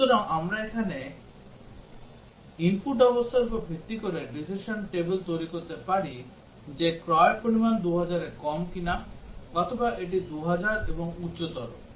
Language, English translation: Bengali, So, we can form the decision table here based on the input conditions that whether the purchase amount is less than 2000, or it is 2000 and higher